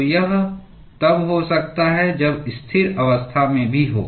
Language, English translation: Hindi, So, this can happen when at steady state as well